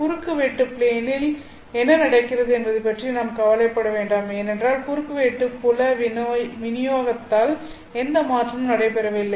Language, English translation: Tamil, So, therefore, we don't really worry about what is happening to the transverse plane because we assume that nothing is changing with respect to the transverse field distribution